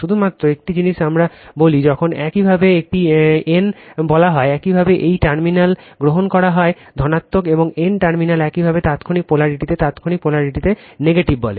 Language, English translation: Bengali, Only one thing I tell when you say a n, you take a terminal is positive, and n terminal is your what you call negative right in instantaneous polarity in instantaneous polarity